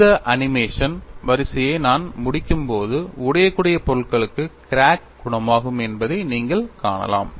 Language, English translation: Tamil, When I complete this animation sequence, you find the crack would heal for brittle materials we have already seen it